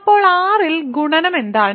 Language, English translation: Malayalam, So, now what is multiplication on R